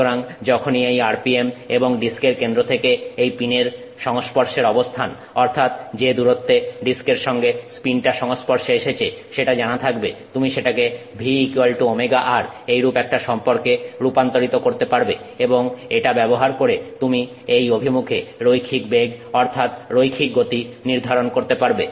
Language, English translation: Bengali, So, once you know the RPM and the distance that the pin is coming in contact with distance of the position the pin is coming in contact with the disk from the center of the disk, you can convert that to a, you know, V equals omega r you can use and then you can convert that to a linear velocity or linear speed in this direction, so tangential to this you can think of a linear speed